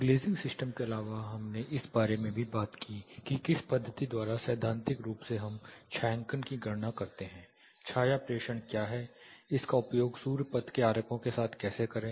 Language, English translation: Hindi, Apart from the glazing systems we also talked about what does a methodology with which theoretically you do the shading calculations, what is the shadow protractor, how to use it along with the sun path diagrams